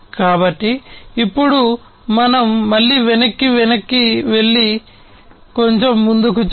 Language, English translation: Telugu, So, let us now again go back and look little further